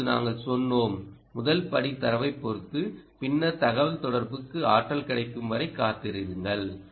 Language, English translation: Tamil, now we also said that first step is to go and acquire data and then wait until energy is available for a communication